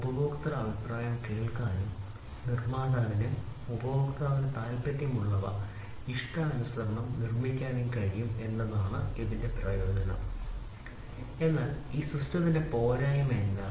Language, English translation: Malayalam, The advantage of it was the customer voice could be listened and the manufacturer could produce customized to whatever the customer wants, but what was the disadvantage of this system